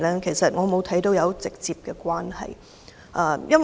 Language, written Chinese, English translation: Cantonese, 其實我看不到有直接關係。, To be honest I do not see a direct connection